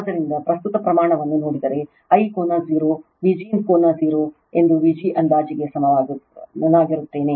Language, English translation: Kannada, So, if you see the current magnitude, I will be equal to V g approximate that angle is 0, V g angle 0 right